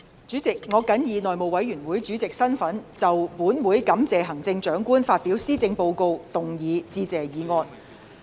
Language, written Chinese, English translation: Cantonese, 主席，我謹以內務委員會主席身份就"本會感謝行政長官發表施政報告"動議致謝議案。, President in my capacity as Chairman of the House Committee I move the motion That this Council thanks the Chief Executive for her address